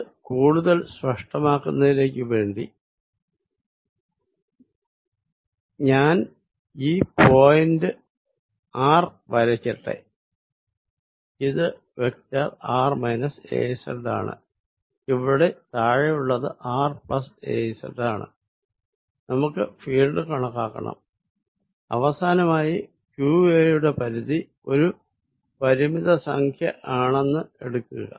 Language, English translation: Malayalam, To make it more explicit, let me draw this point r, this is vector r minus ‘az’ and the one from the bottom here is r plus ‘az’ and we want to calculate this field and finally, take the limit q times a going to a finite number